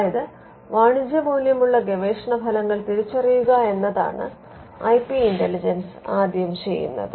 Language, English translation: Malayalam, So, that is the first part of IP intelligence identifying research results with commercial value